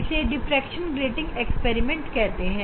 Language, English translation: Hindi, this is the diffraction grating experiment